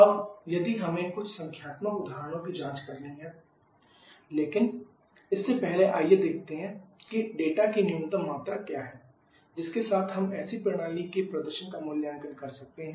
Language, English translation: Hindi, Now, if we have to check out if you numerical examples but before that let us see what are the minimum quantity of data that with which we can evaluate the performance of such a system